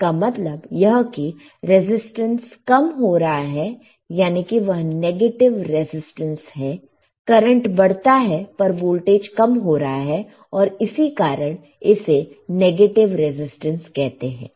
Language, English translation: Hindi, That means, as if the resistance is decreasing it is a negative resistance, the current increases, but the voltage decreases which is why it is called a negative resistance got it